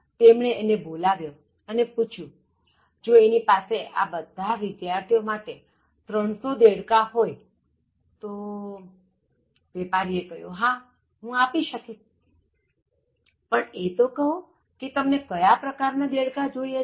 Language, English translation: Gujarati, So, when he called him up and asked him, whether he can give him some 300 frogs for the entire batch of students, so the vendor told him that, yeah, I can give but what kind of frogs you want